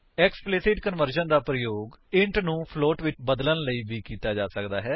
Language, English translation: Punjabi, Explicit conversion can also be used to convert data from int to float